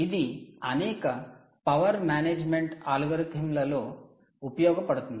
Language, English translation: Telugu, very, very useful in several power management algorithms